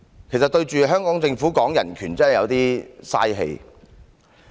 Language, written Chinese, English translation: Cantonese, 其實跟香港政府說人權真的有點浪費力氣。, In fact it is quite a waste of effort to speak about human rights with the Hong Kong Government